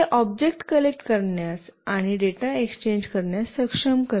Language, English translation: Marathi, It enables the objects to collect and as well as exchange data